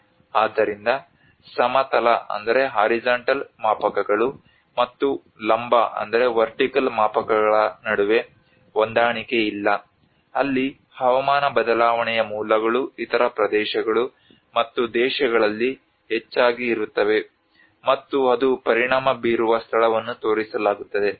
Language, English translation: Kannada, So there is also a mismatch between the horizontal scales and vertical scales where the sources of climate change often lie in other regions and countries then where it is affects are shown